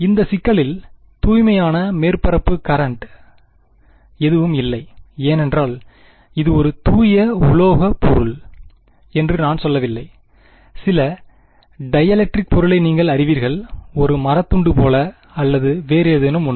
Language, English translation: Tamil, In this problem, there are no pure surface currents, because I did not say that it was a pure metallic object you know some dielectric object right like, you know like piece of wood or whatever right